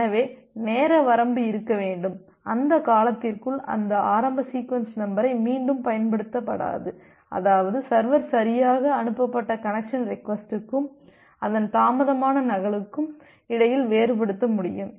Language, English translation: Tamil, So, that time bound need to be there and within that time duration that initial sequence number is not going to be reused such that the server it can differentiate between a correctly sent connection request and the delayed duplicate of it